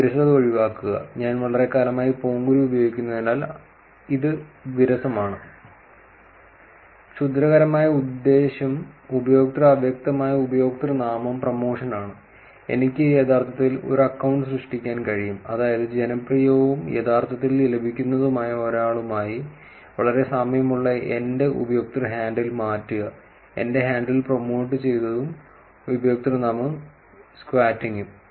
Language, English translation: Malayalam, Avoid boredom, it is boring since I have been using Ponguru for a long time, malicious intent is user obscured username promotion, I could actually create an account which is, change my user handle which is very similar to somebody who is popular and actually get my handle promoted and username squatting